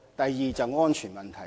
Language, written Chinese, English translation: Cantonese, 第二是安全問題。, Second it is the issue of safety